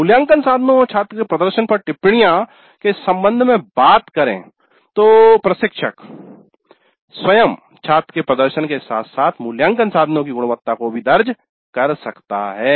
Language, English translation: Hindi, Comments on assessment instruments and student performance, the instructor herself can note down the performance of the students as well as the quality of the assessment instruments